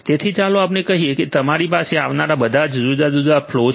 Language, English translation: Gujarati, So, let us say that you have all these different flows that are coming right